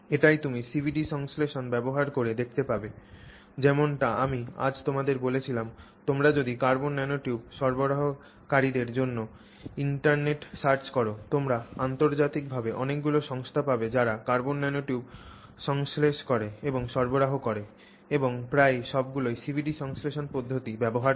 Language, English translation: Bengali, CVD synthesis as I said you know if today if you check on the you know internet for suppliers of carbon nanotubes you will find many companies internationally which synthesize and supply carbon nanomaterials and almost all of them uniformly use the CVD synthesis